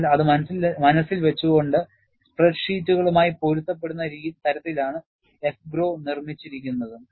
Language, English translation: Malayalam, So, keeping that in mind, AFGROW is made to be compatible with spread sheets